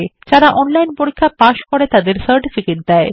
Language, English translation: Bengali, They also give certificates to those who pass an online test